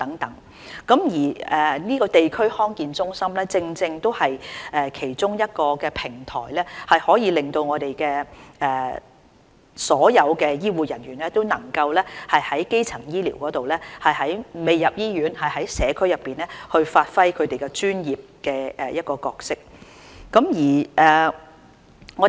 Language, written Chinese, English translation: Cantonese, 地區康健中心正正是其中一個平台，可以令所有醫護人員能夠參與基層醫療，當病人未入醫院而在社區時讓他們發揮其專業角色。, DHC is one of the platforms for all healthcare personnel to participate in primary healthcare and play their professional roles in the community when patients are not yet admitted to hospital